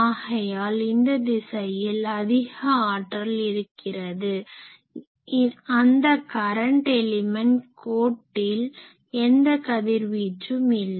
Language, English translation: Tamil, So, it has in this direction it is giving more power than other direction and at the current element line, or axis it is having no radiation